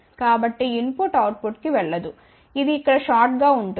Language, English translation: Telugu, So, input will not go to the output it will get shorted over here ok